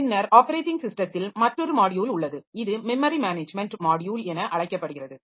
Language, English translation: Tamil, Then there is another module in the operating system which is known as the memory management module